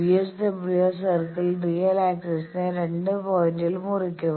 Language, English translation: Malayalam, So, the VSWR circle will cut the real axis at 2 points